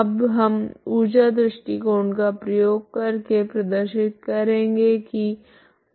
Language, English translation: Hindi, Now we use the energy argument to show that the w 1 is equal to w equal to 0